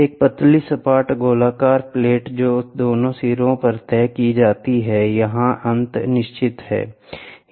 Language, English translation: Hindi, A thin flat circular plate fixed at both ends; this end this end is fixed and this end is fixed